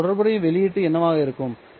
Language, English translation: Tamil, What would be the corresponding output